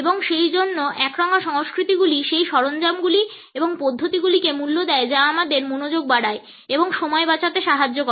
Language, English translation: Bengali, And therefore, monochronic cultures value those tools and systems which increase focus and help us in saving time